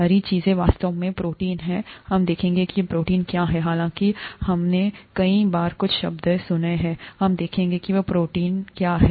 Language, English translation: Hindi, The green things are actually proteins, we will see what proteins are, although we have heard some terms so many times, we will see what those proteins are